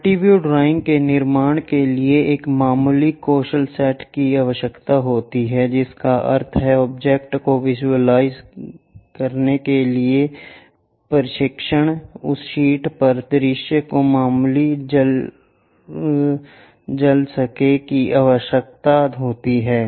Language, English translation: Hindi, To construct multi view drawings a slight skill set is required that means, training to visual the object represent that visual on to the sheet requires slight infusion